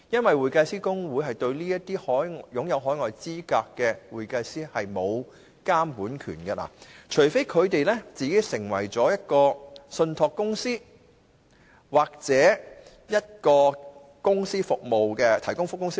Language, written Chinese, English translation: Cantonese, 會計師公會對於持有海外資格的會計師是沒有監管權的，除非他們成為信託公司或註冊成為提供服務的公司。, The Institute does not have the power to supervise certified public accountants with overseas qualification unless they become trust or company service providers